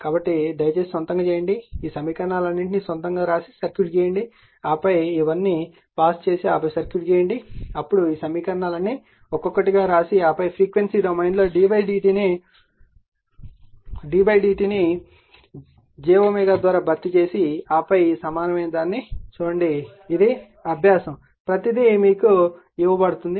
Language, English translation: Telugu, So, this one you please make it of your own right, you write down all these equations of your own first you draw the circuit, then you right down all this your you pause it and then draw the circuit, then all this equations you write one by one alright and then you frequency domain you d d t you replace by j omega and then you will your what you call, then you see this one equivalent 1, this is either exercise for you or everything is given in front of you right